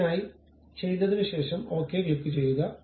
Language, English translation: Malayalam, Once it is done, you have to click Ok button